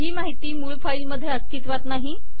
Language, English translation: Marathi, We dont have this information present in the source file